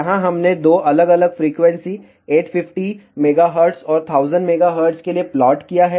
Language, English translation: Hindi, Here, we have shown the plot for two different frequencies, 850 megahertz and 1000 megahertz